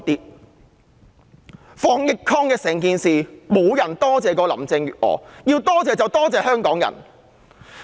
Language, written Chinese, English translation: Cantonese, 在防疫抗疫一事上，沒有人多謝林鄭月娥，要多謝便多謝香港人。, In the fight against and control of the epidemic no one will thank Carrie LAM . The credit should go to Hong Kong people